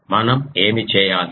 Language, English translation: Telugu, What we do